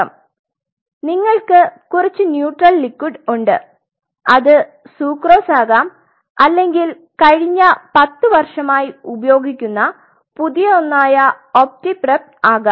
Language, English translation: Malayalam, So, you have some neutral liquid something it could be sucrose it could be one of the new ones which are being used for last 10 years is opti prep